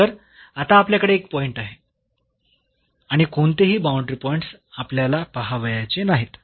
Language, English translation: Marathi, So, we have one point and none the boundary points we have to look